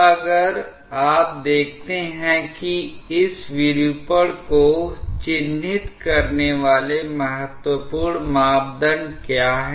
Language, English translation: Hindi, So, now if you see that what are the important parameters that are characterizing this deformation